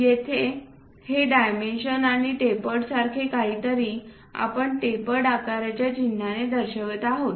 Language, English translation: Marathi, Here we are showing these dimensions and also something like a tapered one with a symbol of tapered shape